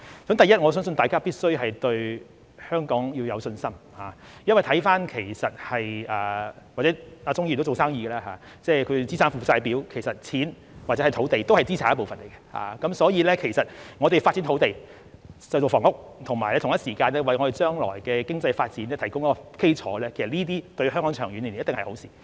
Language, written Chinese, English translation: Cantonese, 第一，我相信大家必須對香港有信心，鍾議員也是做生意的，在資產負債表上、錢或土地也屬資產一部分，所以我們發展土地興建房屋，以及同一時間為將來的經濟發展提供基礎，這些長遠而言對香港一定是好事。, First I think Members must have confidence in Hong Kong . Mr CHUNG is a businessman and on the balance sheet money or land is part of assets . Therefore when we develop land for construction of housing flats and at the same time provide a foundation for future economic development this is certainly good to Hong Kong in the long term